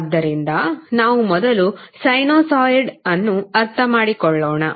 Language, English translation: Kannada, So, let's first understand sinusoid